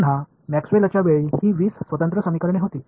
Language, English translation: Marathi, Again at the time of Maxwell’s these were 20 separate equations